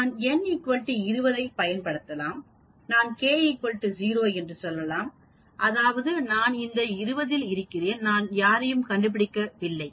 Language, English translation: Tamil, I can use n equal to 20, I can say k equal to 0 that means I am in that 20, I am not finding anybody with that and p is equal to 0